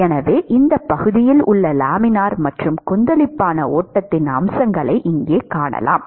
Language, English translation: Tamil, So, you can see features of both Laminar and Turbulent flow in this region here